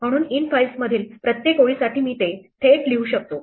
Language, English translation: Marathi, So, instead of saying for each line in infiles I can just write it directly out